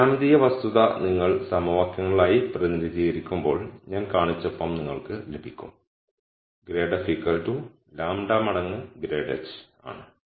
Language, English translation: Malayalam, This geometric fact when you represent it as equations, you would get the form that I showed which is minus grad of f is lambda times grad of h